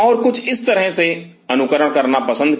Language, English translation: Hindi, And preferred to follow something like this